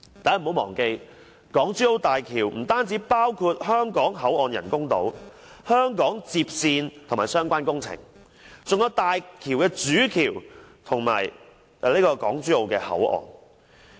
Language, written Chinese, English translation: Cantonese, 大家不要忘記，港珠澳大橋不單包括香港口岸人工島、香港接線與相關工程，還有大橋的主橋和港珠澳口岸。, Do not forget that the HZMB consists not only of the artificial islands in Hong Kong and the link road and related projects in Hong Kong but also the Main Bridge and the boundary crossing facilities BCF at Hong Kong Zhuhai and Macao